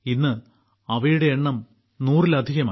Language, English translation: Malayalam, Today their number is more than a hundred